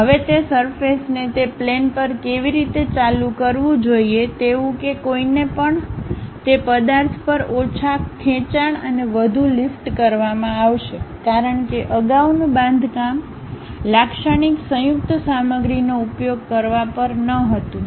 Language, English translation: Gujarati, Now, how that surface supposed to be turned on that aeroplane such that one will be having less drag and more lift on that object; because, earlier day construction were not on using typical composite materials